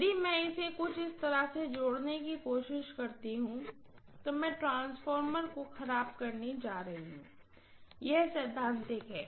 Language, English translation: Hindi, If I try to connect it somewhat like this, I am going to end up spoiling the transformer, this is theoretical